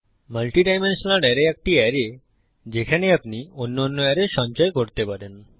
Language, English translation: Bengali, A multidimensional array is an array in which you can store other arrays